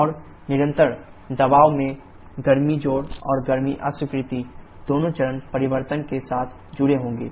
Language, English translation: Hindi, And both heat addition and heat rejection at constant pressure will be associated with phase change